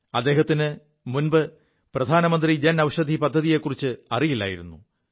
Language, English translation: Malayalam, Earlier, he wasn't aware of the Pradhan Mantri Jan Aushadhi Yojana